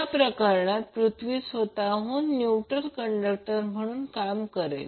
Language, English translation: Marathi, So in that case the earth itself will act as a neutral conductor